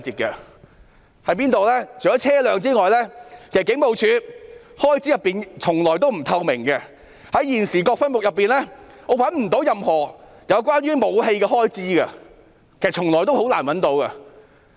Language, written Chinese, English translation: Cantonese, 除了車輛外，警務處的開支從來都不透明，在現時各分目中，我找不到任何有關武器的開支，其實從來也很難找到。, In addition to vehicles the expenditure of HKPF has never been transparent . Among the existing subheads I cannot find any expenditure relating to weapons . In fact such expenditure is always difficult to identify